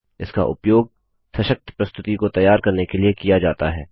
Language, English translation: Hindi, It is used to create powerful presentations